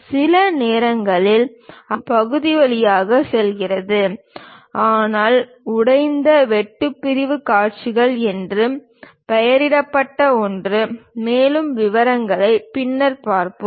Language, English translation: Tamil, And sometimes it completely goes through the part; but something named broken cut sectional views, more details we will see later